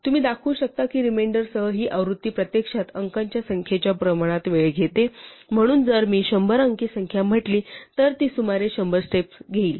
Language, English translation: Marathi, In fact, what you can show is that this version with the remainder actually takes time proportional to number of digits, so if I have say hundred digit number it will take about a hundred steps